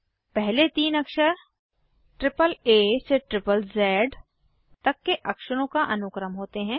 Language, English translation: Hindi, The first three letters are sequence of alphabets from AAA to ZZZ